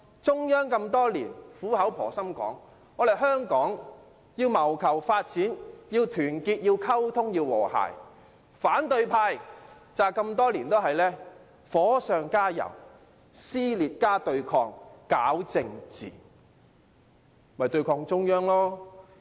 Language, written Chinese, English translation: Cantonese, 中央多年來苦口婆心的說，香港要謀求發展就要團結、溝通、和諧，但反對派多年來都是火上加油，撕裂加對抗、搞政治，為的就是要對抗中央。, The Central Authorities have been earnestly reminding Hong Kong for years that unity communication and harmony are essential for Hong Kongs further development . However the opposition camp has been adding fuel to the flames by instigating division and political confrontations for years with a view to countering the Central Authorities